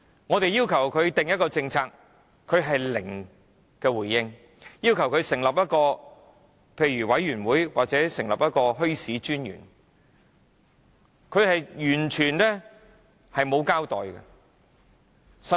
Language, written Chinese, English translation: Cantonese, 我們要求政府制訂墟市政策，政府零回應；要求政府成立一個委員會或設立墟市專員，政府亦完全沒有交代。, Our request for the formulation of a policy on bazaars has received no response from the Government; our request for the establishment of a committee or the creation of the Commissioner for Bazaars has not been answered by the Government